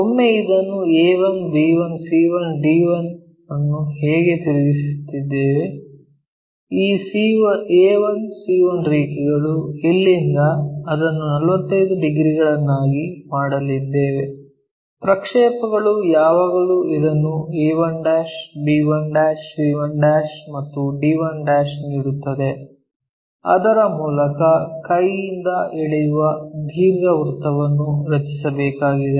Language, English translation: Kannada, Once we have this a 1, b 1, c 1, d 1 the way how we rotate is this ac line from here through that we are going to make it 45 degrees so, the projections always gives us this a', b 1', c' and d' through that we have to draw a free hand sketch which makes an ellipse